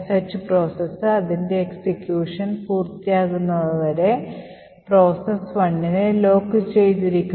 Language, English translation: Malayalam, Now the one process is locked until the sh process completes its execution